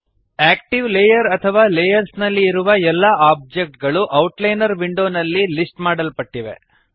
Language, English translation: Kannada, All objects present in the active layer or layers are listed in the Outliner window